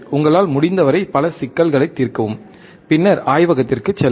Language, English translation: Tamil, Solve as many problems as you can, then go to the laboratory